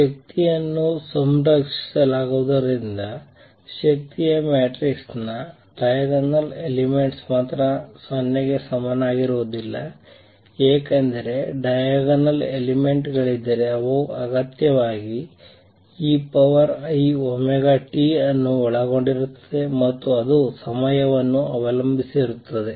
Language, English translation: Kannada, Since energy is conserved only diagonal elements of energy matrix are not equal to 0, because if there were diagonal elements they will necessarily involve e raise to i omega t and that would make a time dependent